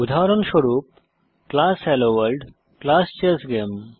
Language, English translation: Bengali, * Example: class HelloWorld, class ChessGame